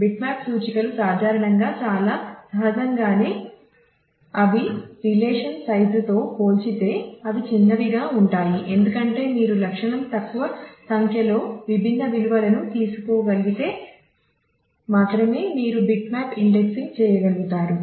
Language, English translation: Telugu, So, bitmap indices generally very I mean naturally they are they are they are small in compared to the relation size because you are doing bitmap indexing only if the attribute can take small number of distinct values